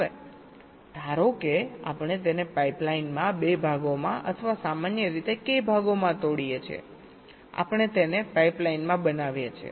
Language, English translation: Gujarati, ok, now suppose we break it into two parts in a pipe line, or k parts in general, we make it in a pipe line